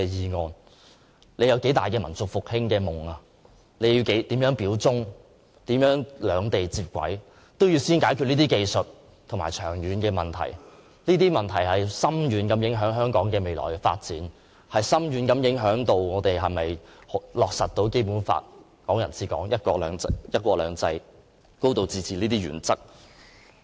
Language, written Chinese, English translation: Cantonese, 不論他有多大的民族復興的夢、要如何表忠，如何渴望兩地能接軌，都必先要解決這些長遠的技術問題，因為這些問題將對香港未來的發展有着深遠的影響，包括我們能否落實《基本法》、"港人治港"、"一國兩制"、"高度自治"這些原則。, No matter how big his dream of national rejuvenation is how he wants to express loyalty and how eager he wishes to link up Hong Kong with the Mainland we must first resolve these long term technical problems because they will have far - reaching implications on the future development of Hong Kong including whether we can uphold the Basic Law and the principles of Hong Kong people administering Hong Kong one country two systems and a high degree of autonomy